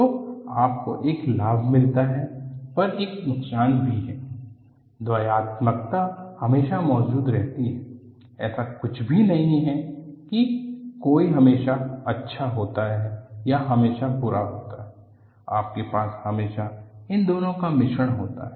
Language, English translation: Hindi, So, you get one benefit, you get a disadvantage because of using that; duality always exist, there is nothing like one is always good or one is always bad; you always as a mixture of these two